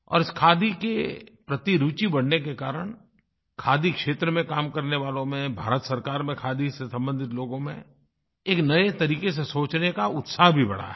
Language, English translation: Hindi, The increasing interest in Khadi has infused a new thinking in those working in the Khadi sector as well as those connected, in any way, with Khadi